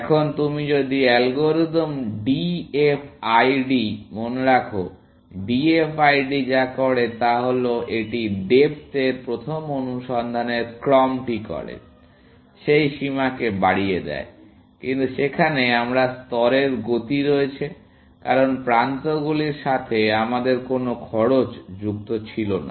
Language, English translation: Bengali, Now, if you remember the algorithm DFID, what DFID does is that it does the sequence of depth first search, with increasing that bound, but there, we have the motion of level, because we had no cost associated with edges